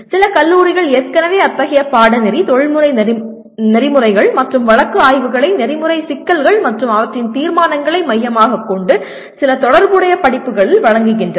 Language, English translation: Tamil, Some colleges already offer such a course, professional ethics and or case studies with focus on ethical issues and their resolutions into in some courses, relevant courses